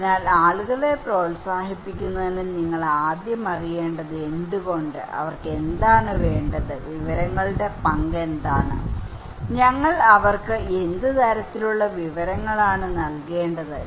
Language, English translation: Malayalam, So, in order to encourage people you first need to know why, what they need, what is the role of information, what kind of information we should provide to them